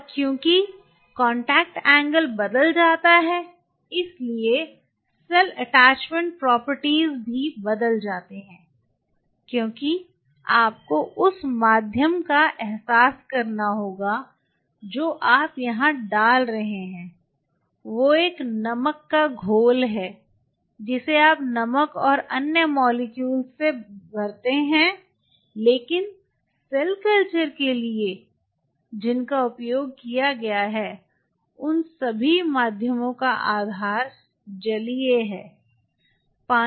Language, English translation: Hindi, And since the contact angle changes the cell attachment properties also changes because you have to realize the medium what you are putting out here is a salt solution filled with you know salt and other molecules, but the base is aqueous all the mediums which are been used for cell culture are from are on a water base right